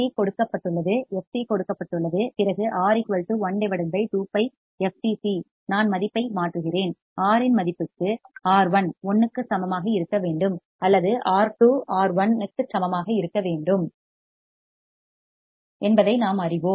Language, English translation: Tamil, C is given; f c is given; then R will be one upon 2 pi f c into C, I substitute the value and for the value of R, we know that R1 should be equal to 1 or R2 should be equal to R1